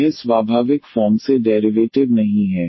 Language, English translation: Hindi, It is not the derivative naturally